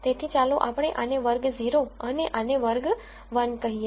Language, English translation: Gujarati, So, let us call this class 0 and let us call this class 1